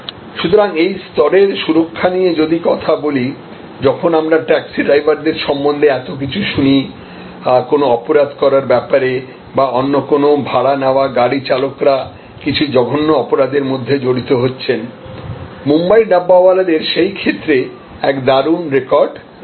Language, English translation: Bengali, So, you and this level of security, when we hear so much about taxi drivers, you know committing crimes or different other hired car drivers getting into some heinous crimes, the Dabbawalas of Mumbai have an impeccable record in that respect